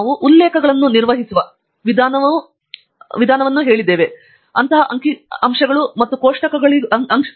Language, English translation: Kannada, The way we manage references can also be applicable to both figures and tables